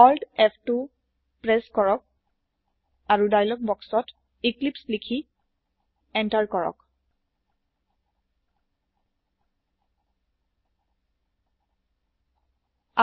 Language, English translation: Assamese, Press Alt F2 and in the dialog box, type eclipse and hit Enter